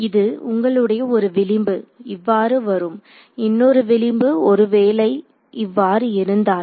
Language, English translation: Tamil, So, this is your one edge comes in like this, the other edge if it comes like this